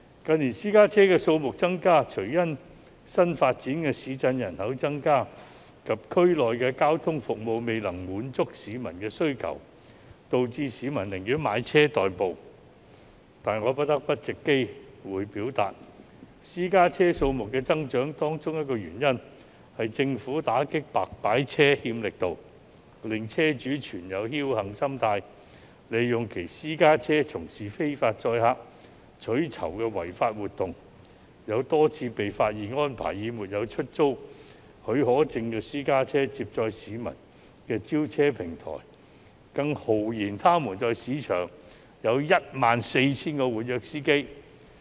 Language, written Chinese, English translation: Cantonese, 近年，私家車數目增加，除了因為新發展市鎮人口增加及區內的交通服務未能滿足市民需求，導致市民寧願買車代步，但我不得不藉此機會表達，私家車數目增加的原因之一，是政府打擊"白牌車"欠缺力度，令車主心存僥幸，利用其私家車從事非法載客取酬的違法活動，有多次被發現安排以沒有出租許可證的私家車接載市民的召車平台，更豪言他們在市場上有 14,000 名活躍司機。, The increase in the number of private cars in recent years can be attributed to the population growth in newly developed towns and the failure of transport services to meet the needs of local residents . As a result people would rather purchase cars for transportation . However I must take this opportunity to point out that another reason for the increase in the number of private cars is the Governments inadequacy in combating illegal car hire service